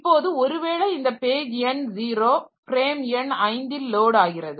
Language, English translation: Tamil, Now suppose this page number 0 is loaded in the frame number 5